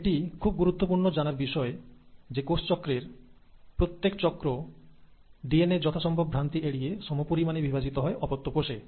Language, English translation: Bengali, Now this is important to know that every round of cell cycle, the DNA gets duplicated with minimal errors, and this DNA then gets equally divided into the daughter cells